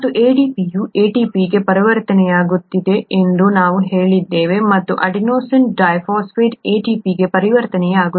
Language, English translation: Kannada, And we said ADP getting converted to ATP and so on so forth, adenosine diphosphate getting converted to ATP